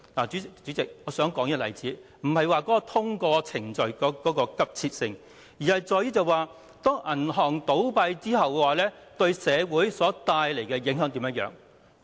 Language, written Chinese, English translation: Cantonese, 主席，我舉出這例子，並非要說明通過程序的急切性，而是銀行倒閉會對社會帶來甚麼影響。, President I have cited this example to illustrate the social impacts of bank closures rather than the urgency of completing the proceedings